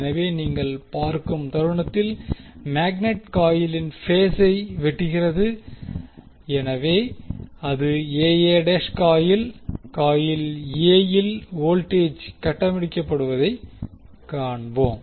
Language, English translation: Tamil, So, when the moment you see the, the magnet is cutting phase a coil, so, that is a a dash coil we will see that the voltage is being building up in the coil A